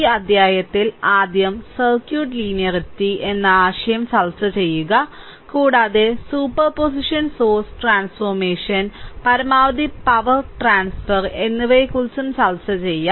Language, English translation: Malayalam, And in this chapter right, we first discuss the concept of circuit linearity and in also will discuss the concept of super position source transformation and maximum power transfer, I have underlined those things